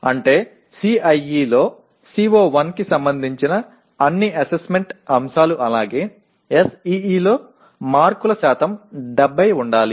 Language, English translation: Telugu, That means all the assessment items I have related to CO1 in CIE as well as in SEE the marks percentage should be 70